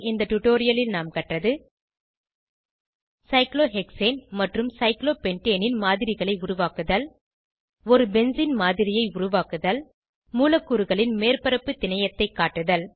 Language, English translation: Tamil, In this tutorial we have learnt to Create a model of cyclohexane and cyclopentane Create a model of benzene Display surface topology of molecules